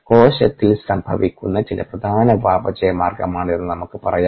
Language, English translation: Malayalam, let us say that this is, uh, some important metabolic pathway that is happening in the cell